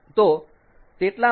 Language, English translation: Gujarati, so this is how